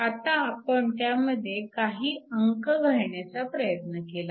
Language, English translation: Marathi, Now, we tried to put some numerical values to this